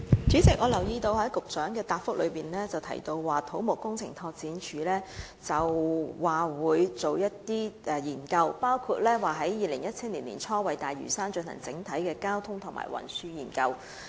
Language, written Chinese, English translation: Cantonese, 主席，我留意到局長在主體答覆中提到土木工程拓展署將會進行研究，包括在2017年年初為大嶼山進行整體交通及運輸研究。, President I note that the Secretary mentioned in the main reply that CEDD would undertake studies including conducting an overall traffic and transport study for Lantau in early 2017